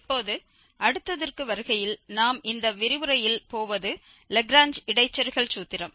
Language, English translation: Tamil, Now, coming to the other one, which we will also discuss in this lecture, that is the Lagrange interpolation formula